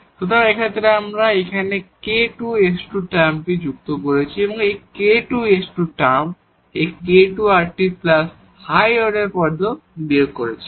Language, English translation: Bengali, So, in this case we have added here k square s square term and also subtract to this k square, s square term plus this k square rt plus the higher order terms